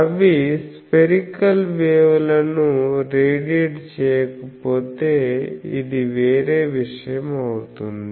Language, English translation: Telugu, If they do not radiate spherical waves, this will be something else